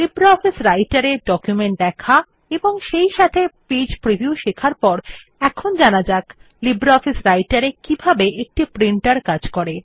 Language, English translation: Bengali, After learning how to view documents in LibreOffice Writer as well as Page Preview, we will now learn how a Printer functions in LibreOffice Writer